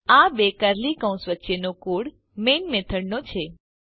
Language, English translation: Gujarati, The code between these two curly brackets will belong to the main method